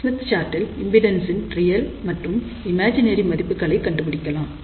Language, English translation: Tamil, Recall Smith chart, on the Smith chart, we can locate all the real and imaginary values of the impedances